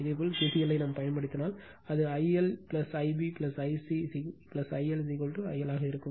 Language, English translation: Tamil, If you apply KCL, it will be I L plus I b plus I c plus I L is equal to I L right